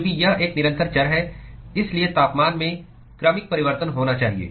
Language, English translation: Hindi, Because it is a continuous variable, there has to be a gradual change in the temperature